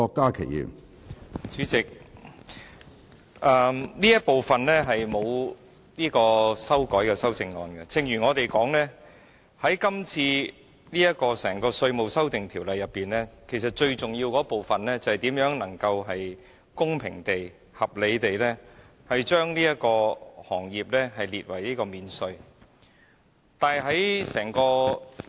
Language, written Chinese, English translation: Cantonese, 主席，這部分是無經修改的修正案，正如我們所言，《2017年稅務條例草案》最重要的部分，便是如何能夠公平和合理地把這個行業納入免稅之列。, Chairman this session deals with the clauses with no amendments . As we have said the most important thing about the Inland Revenue Amendment No . 2 Bill 2017 the Bill is how we can include the aircraft leasing industry in the coverage of tax concession